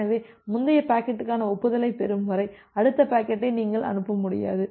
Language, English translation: Tamil, So, until you are receiving the acknowledgement for the previous packet, you will not be able to send the next packet